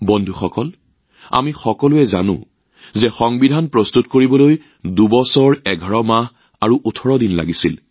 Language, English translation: Assamese, Friends, all of us know that the Constitution took 2 years 11 months and 18 days for coming into being